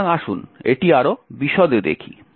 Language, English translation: Bengali, So, let us see this more in detail